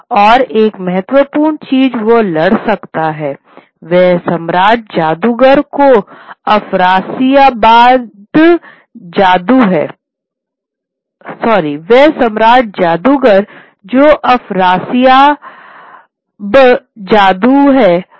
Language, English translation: Hindi, And one of the important things that he can fight is the emperor of the sorcerers, which is Afrasiyab Jadhu